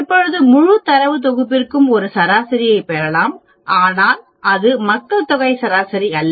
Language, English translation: Tamil, Now we can get a mean for the entire data set, but that is not the population mean